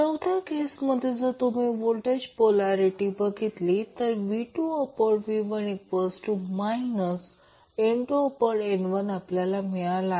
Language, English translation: Marathi, In the third figure here you see the polarity of voltages change that is why V2 by V1 will become minus N1 by N2